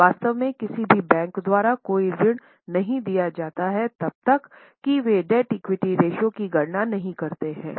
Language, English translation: Hindi, In fact, no loan is granted by any bank unless they calculate debt equity ratio